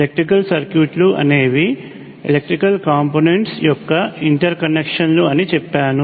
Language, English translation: Telugu, I have just put down that electrical circuits are interconnections of electrical components